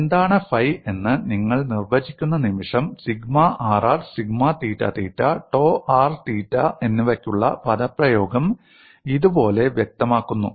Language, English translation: Malayalam, The moment you define what is phi the expression for sigma rr sigma theta theta and tau r theta are specified like this